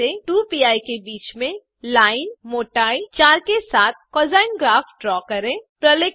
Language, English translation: Hindi, Draw a plot of cosine graph between 2pi to 2pi with line thickness 4